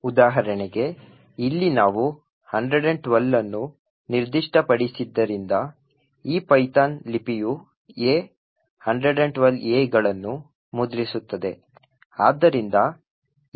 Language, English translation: Kannada, For example, over here since we have specified 112, so this particular python script would print A, 112 A’s